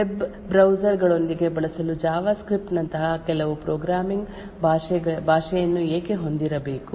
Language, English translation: Kannada, Why do we actually have to have some programming language like JavaScript to be used with web browsers